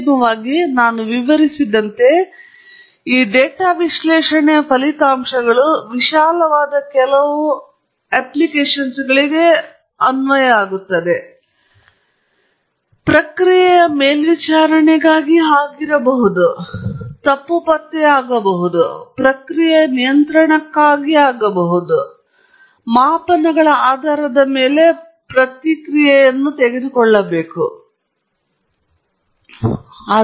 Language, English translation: Kannada, Ultimately, the results from this data analysis go into some of these very broad applications as I just explained; it could be for process monitoring; that is fault detection or it could be for process control, where I am taking feedback action based on measurements